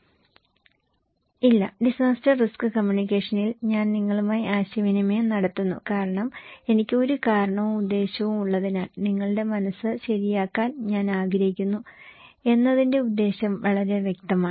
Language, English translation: Malayalam, No, in disaster risk communications I am communicating with you because I have a reason, a purpose and the purpose is very clear that I want to change your mind okay